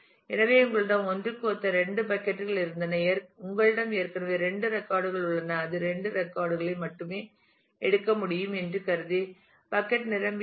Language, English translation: Tamil, So, you had in bucket two corresponding to 1 you already have 2 records that bucket is full assuming that it can take only 2 records